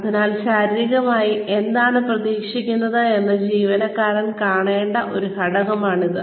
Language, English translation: Malayalam, So, that is one component, the employee should be shown, what is expected, physically